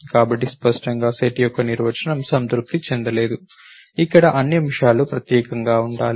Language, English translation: Telugu, So, clearly it does not satisfy the definition of a set, here all the elements have to be unique